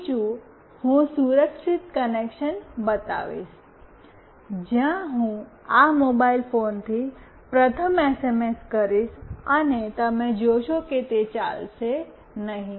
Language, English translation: Gujarati, Secondly, I will show a secure connection where I will first send SMS from this mobile phone, and you will see that it will not work